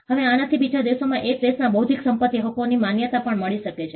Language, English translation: Gujarati, Now, this could also allow for recognition of intellectual property rights of one country in another country